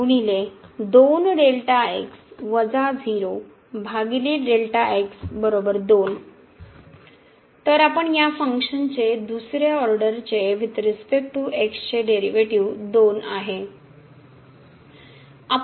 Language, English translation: Marathi, So, what we have seen the second order derivative with respect to of this function is 2